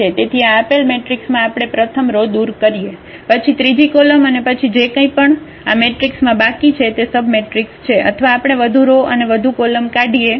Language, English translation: Gujarati, So, matrix is given we remove let us say first row, the third column then whatever left this matrix is a submatrix or we can remove more rows more columns